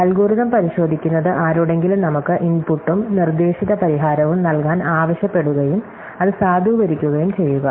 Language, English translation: Malayalam, So, checking algorithm ask somebody to give us an input and a propose solution and then validate it